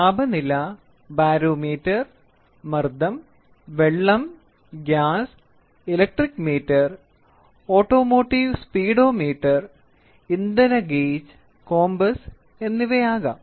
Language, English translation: Malayalam, It can be temperature, it can be barometer pressure, water, gas, electric meter, automotive speedometer and fuel gage and compass